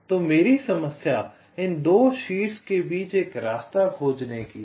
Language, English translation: Hindi, so my problem is to find a path between these two vertices